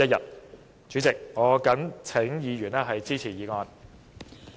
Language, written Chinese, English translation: Cantonese, 代理主席，我謹請議員支持議案。, Deputy President I urge Members to support the motion